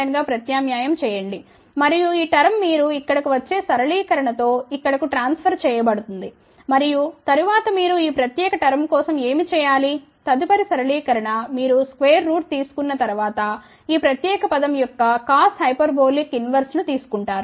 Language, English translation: Telugu, 2589 and this term is transferred over here with simplification you get over here and then what should you do for this particular term next simplification is you take cos hyperbolic inverse of this particular term after taking a square root